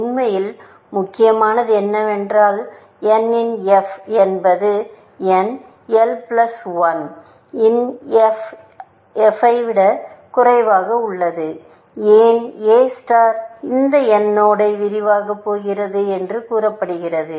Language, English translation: Tamil, What is really important is that f of n is less than equal to f of n l plus 1, why because we are said that A star is about to expand this node n